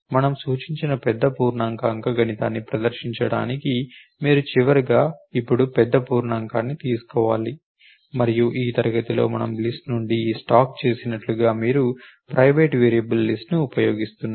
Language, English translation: Telugu, To perform big int arithmetic what us suggested is you have to implement at last call big int now, and with in this class you using a private variable list just like we did this stack from the list